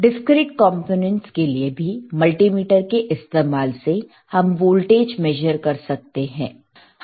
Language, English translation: Hindi, For discrete components also a multimeter can be used to measure voltage